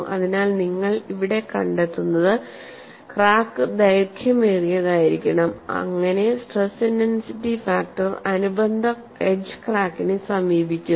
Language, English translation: Malayalam, So, what you find here is the crack should be long enough, so that stress intensity factor approaches that of the corresponding edge crack, this is one aspect of the story